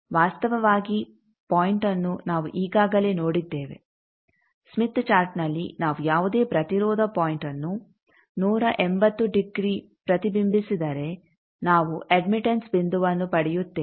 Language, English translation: Kannada, The point is actually we have already seen that if we reflect any impedance point 180 degree in the smith chart we get an admittance point